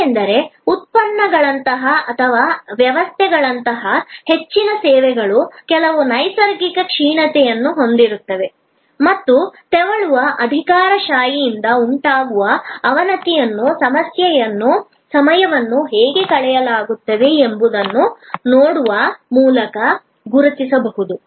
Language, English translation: Kannada, Because, most services like products or like systems have some natural degeneration and that degeneration due to creeping bureaucracy can be identified by looking at, how time is spent